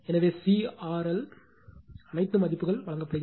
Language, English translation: Tamil, So, C R L all values are given you substitute all this value